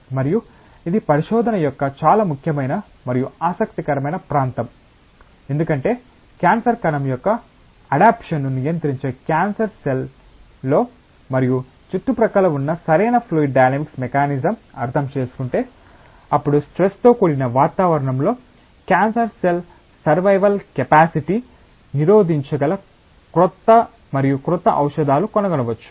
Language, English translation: Telugu, And it is a very important and interesting area of research, because if one understands the proper fluid dynamic mechanism that goes in and around the cancer cell which controls the adaptation of cancer cell, then possibly newer and newer drugs can be discovered that can inhibit the survival capacity of cancer cells in a stressful environment